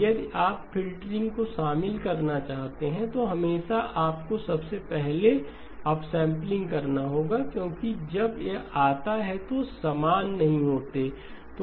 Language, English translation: Hindi, If you include the filtering, then always you have to do the upsampling first because they are not the same when it comes to the